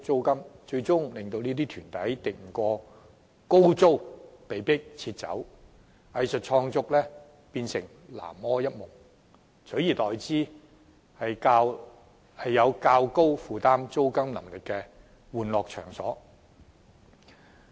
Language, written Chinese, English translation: Cantonese, 結果，這些團體敵不過高昂租金而被迫撤走，藝術創作頓成南柯一夢，而原本的場地，則為一些能負擔較高租金的玩樂場所佔用。, Consequently these groups were forced out of such premises because of the exorbitant rents and their dreams of artistic creation were thus shattered . The venues formerly used by these groups are then occupied by tenants who are able to afford higher rents and are used as places of entertainment